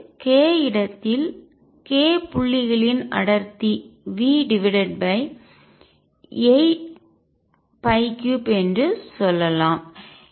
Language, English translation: Tamil, Or we can say the density of k points in k space is v over 8 pi cubed